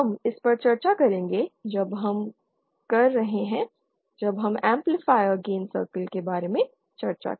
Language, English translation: Hindi, We shall discuss this when we are when we discuss about the amplifier gain circles